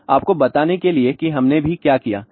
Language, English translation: Hindi, Now, just you tell you what we also did